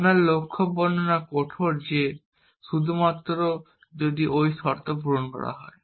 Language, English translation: Bengali, Our goal description is rigid that only if those conditions are met